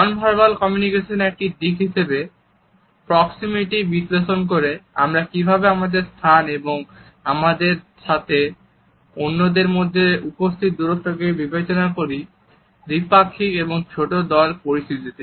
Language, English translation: Bengali, As an aspect of nonverbal communication, proximity looks at how we treat their space and distance between us and other people in any dyadic or a small group situation